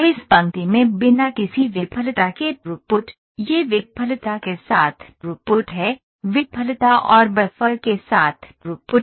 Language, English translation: Hindi, We have 3 lines in this line their throughput with no failure this is throughput with failure with throughput with failure and buffers